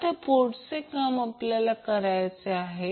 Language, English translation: Marathi, So the next task what we have to do